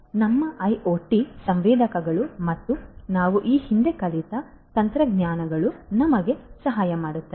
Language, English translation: Kannada, So, again our IoT sensors and other techniques technologies that we have learnt previously could help us in doing